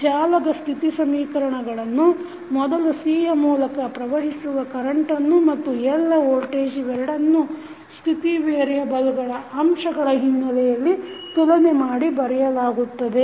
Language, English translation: Kannada, Now, the state equations for the network are written by first equating the current in C and voltage across L in terms of state variable and the applied voltage